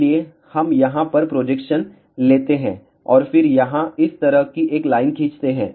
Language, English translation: Hindi, So, we take the projection over here and then draw a line like this here